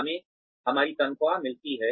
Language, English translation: Hindi, We get our salaries